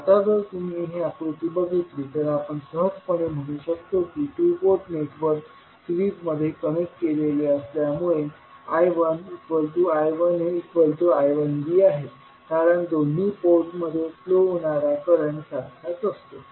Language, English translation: Marathi, Now, if you see this figure, we can simply say that since the two port networks are connected in series that means I 1 is nothing but equals to I 1a and also equal to I 1b because the same current will flow in both of the ports